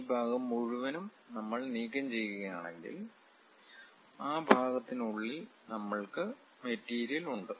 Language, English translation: Malayalam, If we remove this entire part; then we have material within that portion